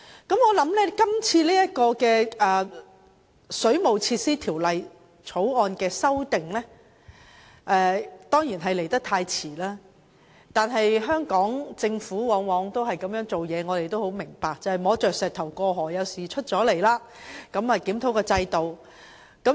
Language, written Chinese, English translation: Cantonese, 我相信今次就《水務設施條例》作出的修訂，顯然是來得太遲，但香港政府往往是如此行事，我們也明白當局要摸着石頭過河，當有事情發生時才檢討制度。, I think the amendments proposed to the Waterworks Ordinance in the current exercise have obviously come too late but this is always how the Hong Kong Government handles things . We also understand that there is a need for the Government to grope its way across the river and a review of the system would only be conducted when something has actually happened